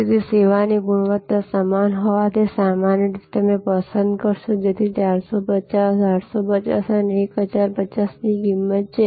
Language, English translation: Gujarati, So, quality of service being the same, normally you would prefer, so there is price of 450, 850 and 1050